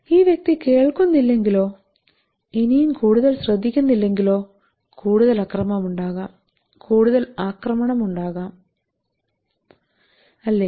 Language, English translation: Malayalam, If this person does not listen or does not pay attention any more there could be more violence, there could be more aggression is not it